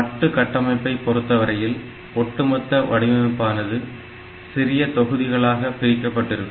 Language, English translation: Tamil, So, modular architecture means that the entire design, it can be divided into sub modules